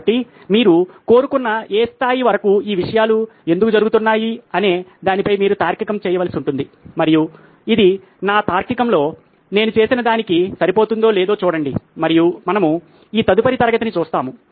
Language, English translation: Telugu, So you will have to do the reasoning on why these things are happening up to any level you want and see if it matches up to what I have done in my reasoning and we will see this next class